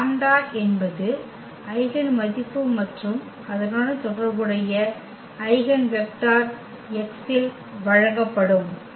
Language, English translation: Tamil, This lambda is the eigenvalue and the corresponding eigenvector will be given by x